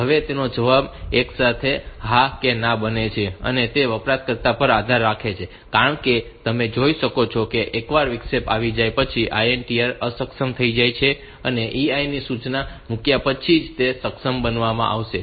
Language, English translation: Gujarati, Now, the answer is yes and no simultaneously and it depends on the user because you can see that you can once the interrupt has occurred the INTR will be disabled and it will be enabled only after the EI instruction has been put